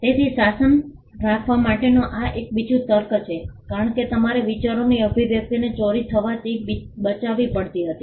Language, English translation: Gujarati, So, that is another rationale for having a regime because you had to protect the expression of ideas from being stolen